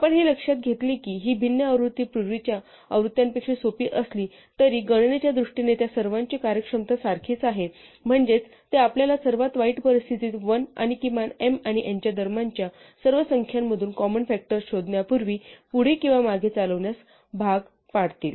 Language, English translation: Marathi, So what we notice that was, that though these different versions are simpler than the earlier versions they all have the same efficiency in terms of computation, which is that they will force us in the worst case to run through all the numbers between 1 and the minimum of m and n, before we find the greatest common factor whether we work forwards or backwards